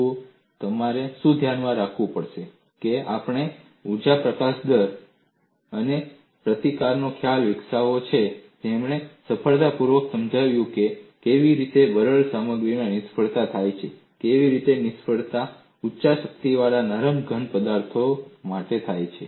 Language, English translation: Gujarati, See, what you will have to keep in mind is we have developed the concept of energy release rate and resistance, which has successfully explained how failure occurs in brittle materials, how failure occurs in high strength ductile solids